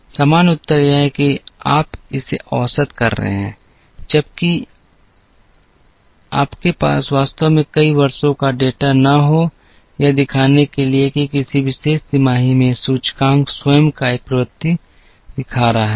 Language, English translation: Hindi, The normal answer is you average it, unless you really have several years of data, to show that in a particular quarter, there is the index itself is showing a trend